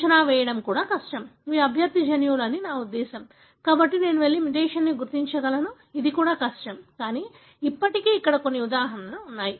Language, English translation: Telugu, So, therefore even predicting, I mean these are the candidate genes, therefore I can go and identify mutation, this is also, is difficult, but still there are some examples